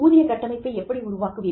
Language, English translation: Tamil, How do you develop a pay structure